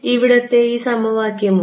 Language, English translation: Malayalam, This equation over here